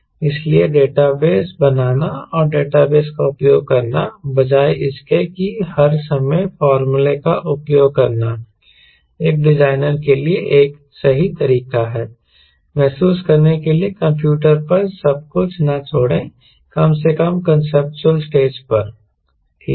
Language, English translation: Hindi, so creating a data base and he using the data base, rather using all the type formula, is a write way for a designer to get a field, ok, don't leave everything to the computer, at least at the conceptual stage